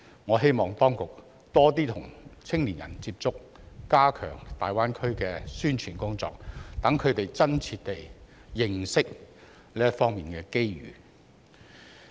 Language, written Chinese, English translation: Cantonese, 我希望當局多點跟年輕人接觸，加強大灣區的宣傳工作，讓他們真切認識這方面的機遇。, I hope that the authorities will get in touch with young people more often and step up the promotion of the Greater Bay Area so that they can really understand the opportunities in this regard